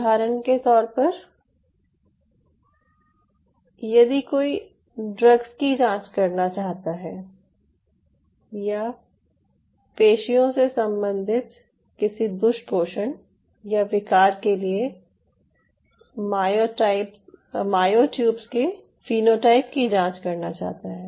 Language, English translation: Hindi, so see, for example, one wants to screen drugs or screen phenotypes of myotubes for muscular dystrophy or any kind of muscle related disorders or other muscle disorders